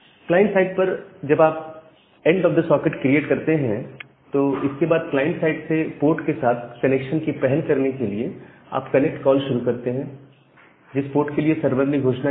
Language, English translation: Hindi, Now, after these things are done, after you have created the end of the socket at the client side, from the client side you make this connect call to initiate a connection to the port number which is announced by the server